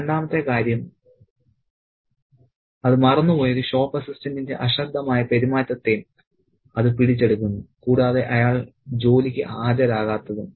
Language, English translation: Malayalam, And the second thing is that it also catches the slip shot behavior of a shop assistant who has forgotten about it and who doesn't turn up for work as well